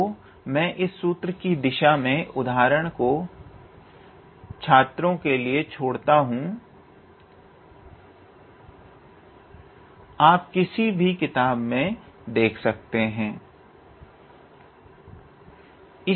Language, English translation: Hindi, So, I leave the examples for this direction formula up to the students you can look into any book